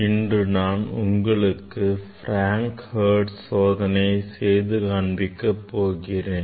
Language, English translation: Tamil, today I will demonstrate Frank Hertz experiment